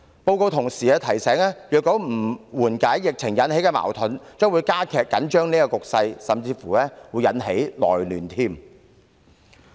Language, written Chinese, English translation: Cantonese, 報告同時提醒，如不緩解疫情引起的矛盾，將會加劇緊張局勢，甚至會引起內亂。, These are unacceptable to us . The report also reminded us that if the conflicts caused by the epidemic were not resolved tension would intensify which could even cause internal disturbances